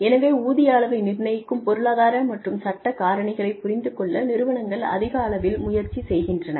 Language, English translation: Tamil, So, one is, organizations are increasingly trying to understand, economic and legal factors, that determine pay levels